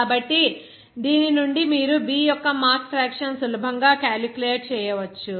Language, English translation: Telugu, So, from this you can easily calculate what would be the mass fraction of B